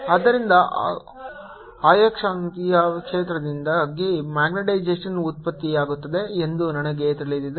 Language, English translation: Kannada, so we know that magnetization is produced because of the magnetic field